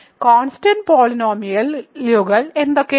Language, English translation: Malayalam, So, what are constant polynomials